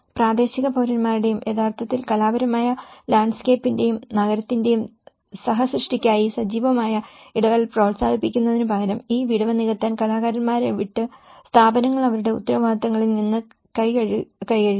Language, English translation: Malayalam, And with the local citizens and in fact, rather than fostering active engagement for co creation of the artistic landscape and the city, the institutions washed their hands on their responsibilities leaving the artists to fill the gap